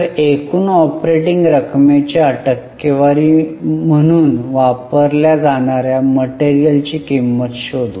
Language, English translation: Marathi, So, let us find the cost of material consumed as a percentage of material consumed ratio